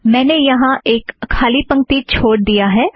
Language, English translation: Hindi, I have left a blank line